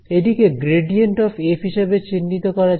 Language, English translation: Bengali, So, this is defined as the gradient of f